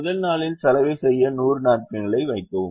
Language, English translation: Tamil, put hundred napkins to laundry on the first day